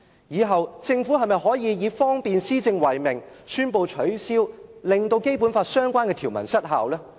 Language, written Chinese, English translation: Cantonese, 以後政府是否可以以方便施政為名，令《基本法》相關的條文失效呢？, In future will the Government invalidate relevant provisions of the Basic Law in the name of administrative convenience?